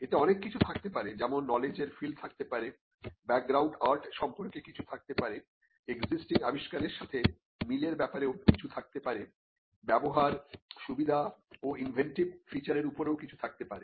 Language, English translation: Bengali, It could have something on what is the field of knowledge, it could have something on the background art, it could have something on similarities with existing inventions, it could have something on uses advantages, the inventive features